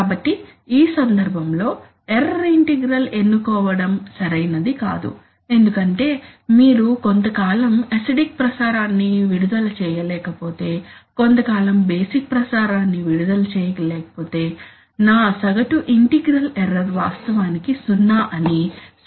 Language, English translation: Telugu, So therefore, in this case choosing an error integral will not be proper, because you cannot release effluent, if you cannot release acidic effluent for some time and then release basic effluent for some time and then say that my average that my integral error is actually zero that would not be proper